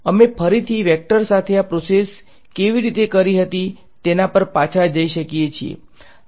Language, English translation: Gujarati, We can again go back to how we had done this process with vectors right